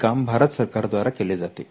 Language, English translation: Marathi, This is done by the Government of India